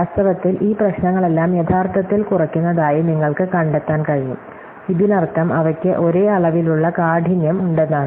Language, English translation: Malayalam, So, in fact, you can find that all these problem actually are inter reducing, this means that the effectively have the same level of hardness